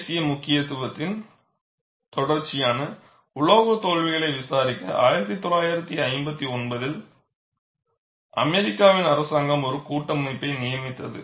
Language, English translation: Tamil, It was commissioned by the federal government, that is the government in USA, in 1959, to investigate a series of metal failures of national significance